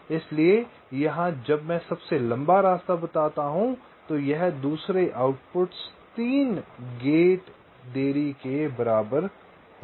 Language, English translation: Hindi, so here when i say the longest path, it will be the delay of the second output, equivalent three gates delays